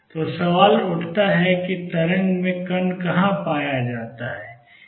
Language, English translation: Hindi, So, question arises where in the wave is the particle to be found